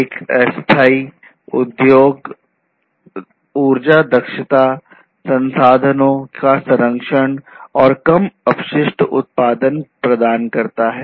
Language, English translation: Hindi, So, a sustainable industry basically provides energy efficiency, conservation of resources, and low waste production